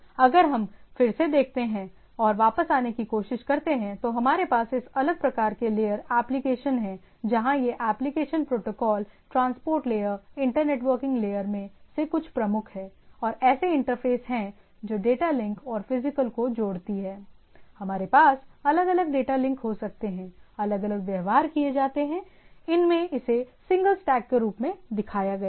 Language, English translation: Hindi, So, if we look at again come back and try to look at, so we have this different type of layer application where these are the predominant some of the application protocols, transport layer, inter network layer and there are interfaces which combines both your data link and physical, we can have different data link means I am repeatedly telling that these some references in several references, there are treated separate, here it does not matter, here it is shown as a single stack